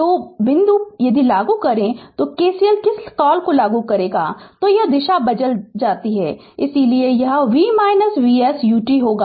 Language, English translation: Hindi, So, this point if you apply your what you call that your KCL, then this as direction is changed, so it will be V minus V s U t